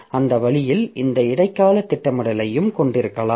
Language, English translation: Tamil, So, that way we can have this mid term scheduler also